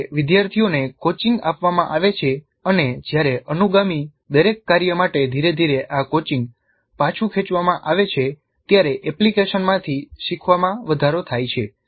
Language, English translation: Gujarati, Learning from an application is enhanced when learners are coached and when this coaching is gradually withdrawn for each subsequent task